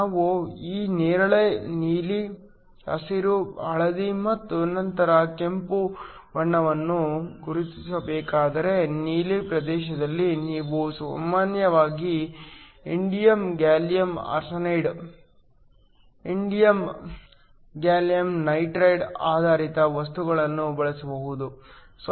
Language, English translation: Kannada, If I just where to mark this violet, blue, green, yellow and then red, so, within the blue region, typically you can use an indium gallium arsenide, indium gallium nitride based material